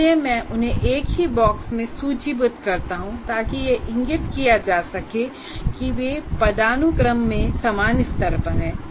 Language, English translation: Hindi, That means when I list in a box, they are at the same level of hierarchy